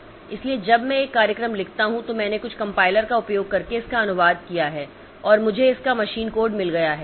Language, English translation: Hindi, So, when I write a program I have translated it in using some compiler and I have got the machine code of it